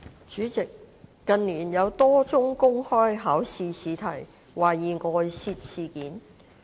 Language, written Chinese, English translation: Cantonese, 主席，近年，有多宗公開試試題懷疑外泄事件。, President in recent years there have been a number of incidents of suspected leak of public examination papers